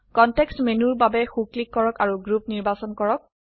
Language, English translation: Assamese, Right click for context menu and select Group